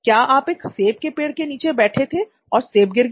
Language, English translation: Hindi, Do you sit under an apple tree and the apple fell